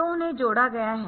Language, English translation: Hindi, So, they have been added